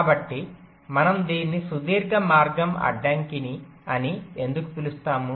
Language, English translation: Telugu, so why do we call it a long, long path constraint